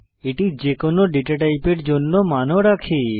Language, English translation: Bengali, It also holds value of any data type